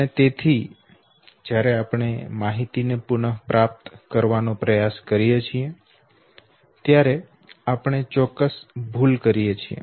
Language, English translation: Gujarati, And therefore when we try to retrieve the information we commit certain error